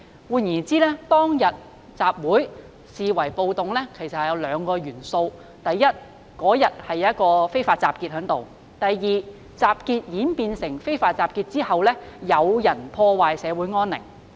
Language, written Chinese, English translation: Cantonese, 換言之，當天集會視為暴動有兩個原因：第一，當日出現非法集結；第二，集結演變成非法集結後，有人破壞社會安寧。, In other words there are two reasons for the assembly on that day to be categorized as a riot first an unlawful assembly took place on that day; second after the assembly had turned into an unlawful assembly some people committed a breach of the peace